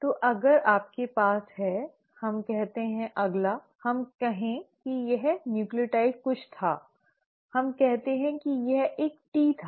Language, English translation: Hindi, So if you have let us say a next, let us say this nucleotide was anything; let us say it was a T